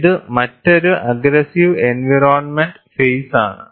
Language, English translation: Malayalam, This is another aggressive environment phase